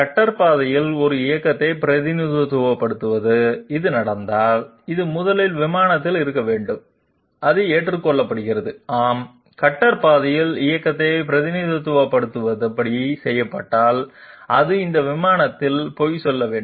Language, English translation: Tamil, If this happens to represent a movement on the cutter path, then it 1st has to be on the plane that is accepted yes, if it is made to represent the movement on the cutter path then it has to lie on this plane